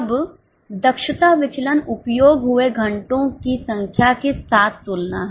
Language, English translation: Hindi, Now, the efficiency variance is comparison with number of hours consumed